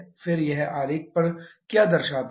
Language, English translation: Hindi, 01 what the diagram is shown